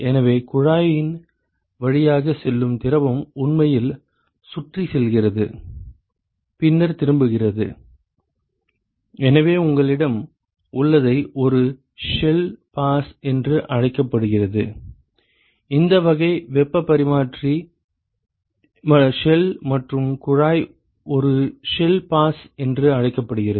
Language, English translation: Tamil, So, the fluid which is going through the tube is actually going around and then turning back and so, what you have is this is what is called as the one shell pass, this type of heat exchanger shell and tube is called one shell pass and two tube passes ok